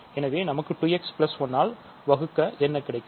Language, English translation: Tamil, So, and what do we get 2 x plus 1